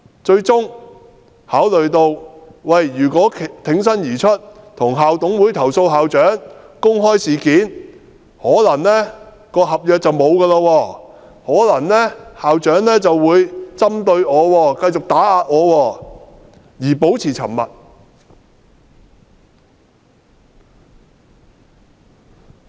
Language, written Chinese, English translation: Cantonese, 最終考慮到如果挺身而出，向校董會投訴校長及公開事件，他的合約便可能會終結，校長便會針對和繼續打壓他，他於是變得沉默。, They considered that if they bravely made a complaint to the Incorporated Management Committee and disclosed the matter their contracts might be terminated and the school principal would penalize them and continue to oppress them . Therefore they became silent